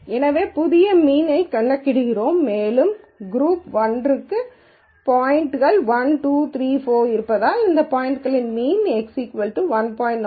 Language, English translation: Tamil, So, we compute the new mean and because group 1 has points 1, 2, 3, 4, we do a mean of those points and the x is 1